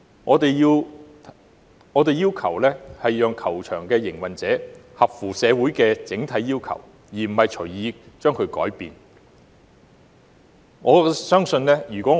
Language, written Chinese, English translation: Cantonese, 我們要求令球場的營運者合乎社會的整體要求，而非隨意改變球場選址。, Instead of arbitrarily changing the location of the golf course we believe the operator of the golf course should be asked to meet the overall requirements of society